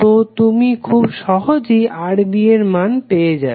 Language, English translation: Bengali, So you will get simply the value of Rb